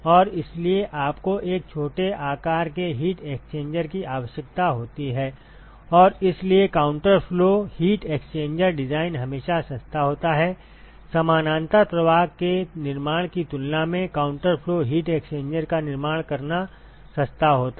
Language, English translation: Hindi, And so, you require a smaller size heat exchanger and therefore, counter flow heat exchanger design is always cheaper, it is cheaper to construct a counter flow heat exchanger than to construct a parallel flow